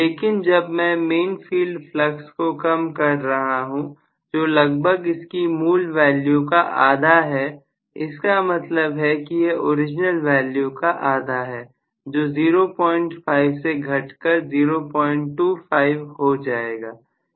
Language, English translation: Hindi, But when I have decreased the main field flux itself to original value, compared to that I am decreasing it to half the original value, then may be from 0